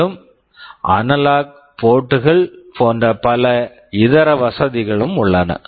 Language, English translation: Tamil, And there are many other facilities like analog ports